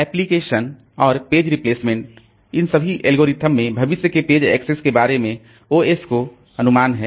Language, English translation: Hindi, Applications and page replacement, all of these algorithms have OS guessing about future page access